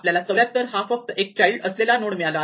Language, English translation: Marathi, So, we find 74 and we find that it has only one child